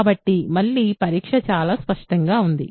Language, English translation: Telugu, So, again the test is very clear